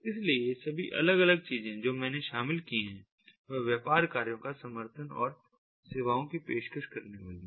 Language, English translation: Hindi, so all these different things that i involved with the offering of the services to support the business functions